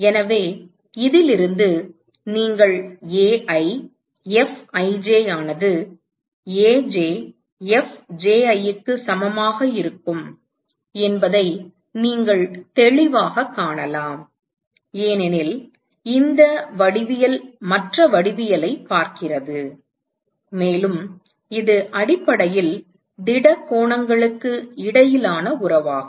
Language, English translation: Tamil, So, from this you can clearly see that Ai Fij will be equal to Aj Fji, because this geometry which is seeing the other geometry, and this is essentially the relationship between the solid angles